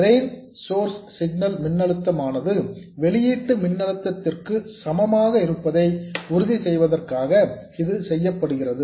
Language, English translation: Tamil, This is just to make sure that the drain source signal voltage equals the output voltage